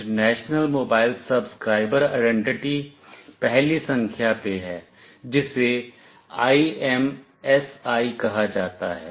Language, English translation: Hindi, The first one is International Mobile Subscriber Identity, which is called IMSI